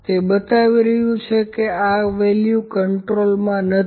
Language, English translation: Gujarati, So, it is as showing that one of the value is not in control